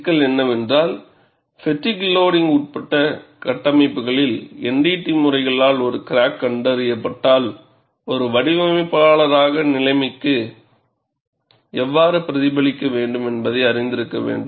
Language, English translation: Tamil, The issue is, in structures subjected to fatigue loading, if a crack is detected by NDT methods, as a designer one should know how to react to the situation